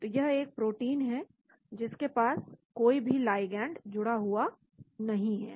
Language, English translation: Hindi, So this is the protein which does not have any ligand attached to it